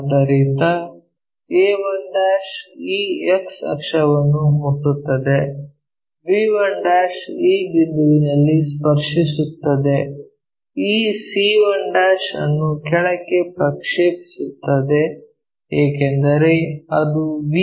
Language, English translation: Kannada, So, a 1' meeting this x axis, b 1' meeting at this point, project this c 1' all the way down because it is supposed to make 45 degrees with VP